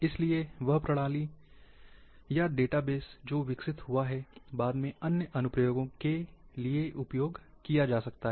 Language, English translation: Hindi, Therefore, that system, or database which have developed, can be used later for other applications as well